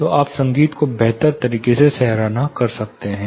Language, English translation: Hindi, So, you can appreciate the music much betters